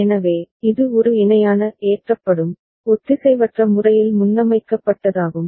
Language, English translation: Tamil, So, this is a parallel in getting loaded, asynchronously getting preset